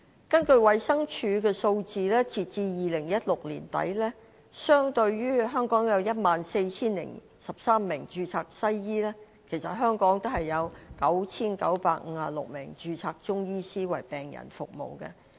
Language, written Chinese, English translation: Cantonese, 根據衞生署的數字，截至2016年年底，相對於香港有 14,013 名註冊西醫，香港也有 9,956 名註冊中醫師為病人服務。, According to the figures from the Department of Health as at the end of 2016 while there were 14 013 registered medical practitioners in Hong Kong there were also 9 956 registered Chinese medicine practitioners in Hong Kong serving the patients